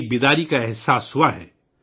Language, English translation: Urdu, There has been a sense of realisation